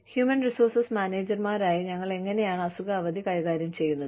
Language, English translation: Malayalam, How do we, as human resources managers, manage sick leave